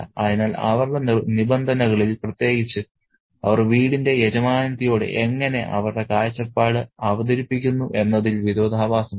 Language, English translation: Malayalam, So, there is also irony in their, in their terms, especially in how they kind of present their perspective to the mistress of the house